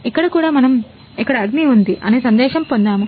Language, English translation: Telugu, On here also get a message, there is fire